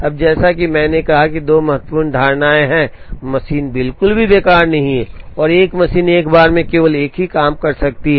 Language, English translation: Hindi, Now, as I said there are two important assumptions one is the machine is not idle at all and a machine can process only one job at a time